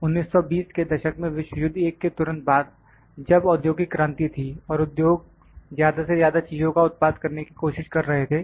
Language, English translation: Hindi, In 1920s just after World War I, when it was industrial revolution and industry was trying to produce more and more goods